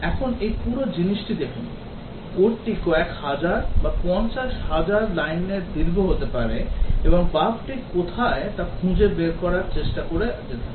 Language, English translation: Bengali, Now, have this entire thing to look at, may be the code is tens of thousands or fifty thousand lines long, and we have to look through there somewhere trying to find out where the bug is